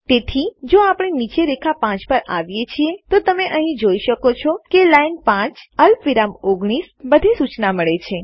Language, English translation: Gujarati, So if we come down to line 5 you can see here that is line 5 column 19 (Ln5, Col19) we get all the information